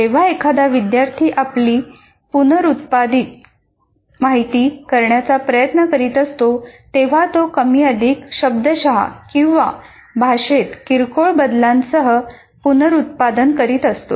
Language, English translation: Marathi, That means a student is exactly trying to reproduce the information more or less verbating or with the minor changes in the language